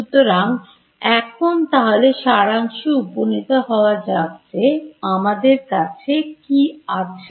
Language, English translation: Bengali, So, let us just sort of summarize what all we have